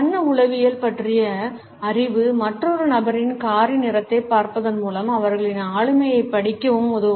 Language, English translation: Tamil, Knowledge of color psychology can even help you read another persons personality just by looking at the color of their car